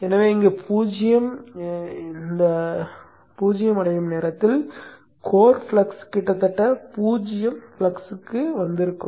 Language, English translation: Tamil, So by the time it reaches zero here the core flux would have almost come to zero flux state